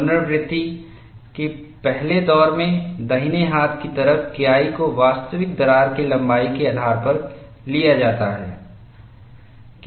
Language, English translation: Hindi, In the first round of iteration, K 1 on the right hand side is taken based on the actual crack length a